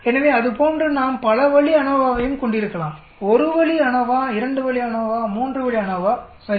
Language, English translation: Tamil, So like that we can have multi way ANOVA also, 1 way ANOVA, 2 way ANOVA, 3 way ANOVA, right